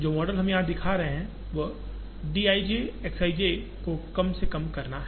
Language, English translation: Hindi, The model that we show here is to minimize d i j X i j